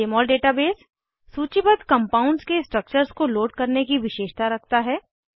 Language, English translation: Hindi, Jmol has a feature to load structures of compounds listed in the database